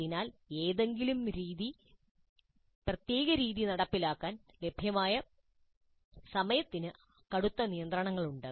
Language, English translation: Malayalam, So the amount of time available to implement any particular method has severe restrictions